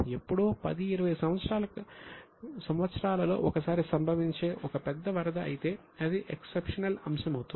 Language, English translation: Telugu, If there is a major flood which might occur somewhere in 10, 20 years once, then it is exceptional